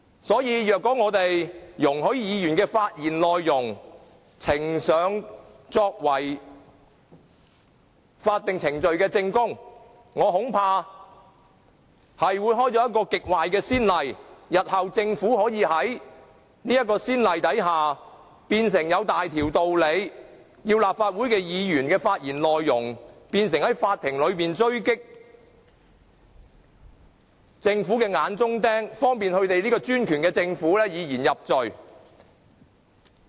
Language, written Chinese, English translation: Cantonese, 所以，如果我們容許議員的發言內容呈上作為法定程序的證供，我恐怕會開了一個極壞的先例。政府日後可以在先例之下，理所當然地把立法會議員的發言內容，變成在法庭裏狙擊"眼中釘"的工具，方便專權的政府以言入罪。, Therefore if we allow Members speeches to be submitted as evidence under statutory procedures I am afraid this may set an extremely bad precedent under which the Government is granted with a de facto licence to turn Members speeches into tools for sniping eyesores in court thus opening the door for the autocracy to criminalize speech